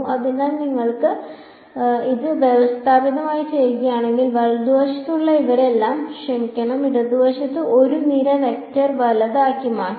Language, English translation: Malayalam, So, if you do it systematically all of these guys on the right hand side sorry on the left hand side can be made into a column vector right